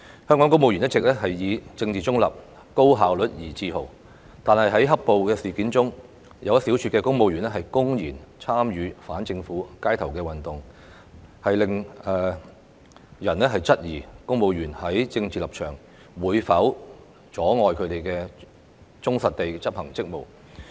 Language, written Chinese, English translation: Cantonese, 香港公務員一直以政治中立、高效率而自豪，但在"黑暴"事件中，有一小撮公務員公然參與反政府街頭運動，令人質疑公務員的政治立場會否阻礙他們忠實地執行職務。, Civil servants of Hong Kong have always taken pride in being politically neutral and highly efficient but a small group of civil servants blatantly participated in the anti - government activities on the streets during black - clad riots and this has raised serious doubt about whether the political stance of civil servants may prevent them from executing their duties faithfully